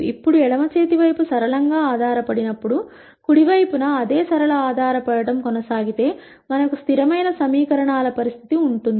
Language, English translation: Telugu, Now whenever the left hand side becomes linearly dependent, if the same linear dependence is maintained on the right hand side also then we have the situation of consistent equations